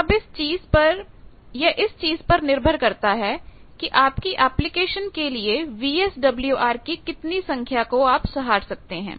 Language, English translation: Hindi, Now, depending on the application that which value of VSWR you are able to tolerate